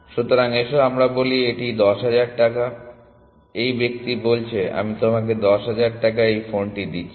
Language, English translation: Bengali, So, let us say it is 10000 rupees, this fellow says I am giving you this phone for 10000 rupees